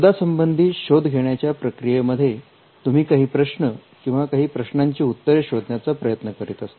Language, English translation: Marathi, Now, during the search, you are looking for certain questions, or you are looking for answers to certain questions